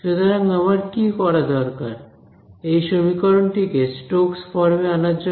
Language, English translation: Bengali, So, what do I need to do to this equation to get it into Stokes form